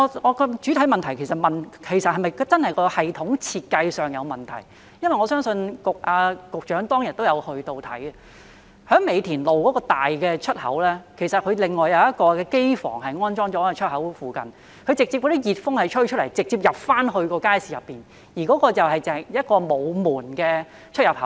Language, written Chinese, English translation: Cantonese, 我的主體質詢是問系統的設計是否存在問題，局長當日也曾前往視察，在美田路的出口，有一個機房安裝在出口附近，所排放的熱風直接吹進街市內，而那是一個沒有門的出入口。, My main question is whether there is any problem with the design of the system . The Secretary also visited the Market on that day . There is a plant room installed near the entrance at Mei Tin Road and the hot air emitted from the plant room is blown directly into the Market through the entrance at which no door is installed